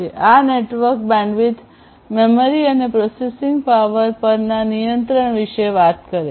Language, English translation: Gujarati, So, these talks about the control over the network bandwidth memory and processing power